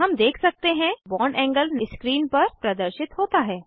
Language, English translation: Hindi, We can see the bond angle displayed on the screen